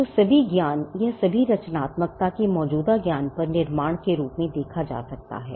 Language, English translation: Hindi, So, all of knowledge or all of creativity can be regarded as building on existing knowledge